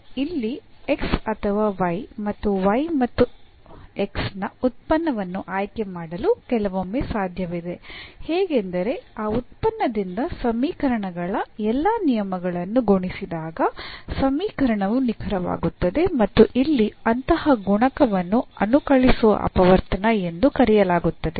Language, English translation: Kannada, It is sometimes possible to choose a function here x or function of x and y such that after multiplying all the terms of the equations after multiplying this given equation by that function the equations become the equation becomes exact and such a multiplier here is called the integrating factor